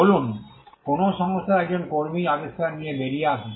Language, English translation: Bengali, Say, an employee in an organization comes out with an invention